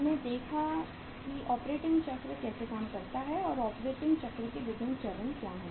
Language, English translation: Hindi, So uh we saw that how the operating cycle works and what are the different stages of the operating cycle